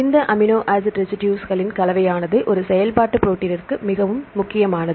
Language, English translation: Tamil, The combination of this amino acid residues is very important for a functional protein